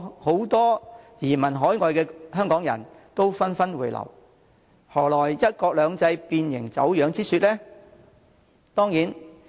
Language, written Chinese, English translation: Cantonese, 很多移民海外的香港人紛紛回流，何來"一國兩制"變形、走樣之說？, Many Hong Kong people having emigrated overseas have come back . As such how can such remarks as one country two systems being distorted and deformed hold water?